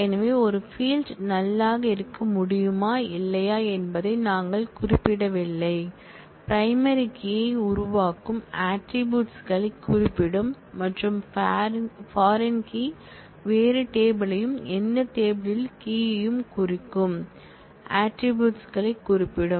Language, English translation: Tamil, So, not null we specify whether a field can be null or not, primary key as we have seen will specify the attributes which form the primary key, and the foreign key will specify the attributes which reference some other table and our key in that table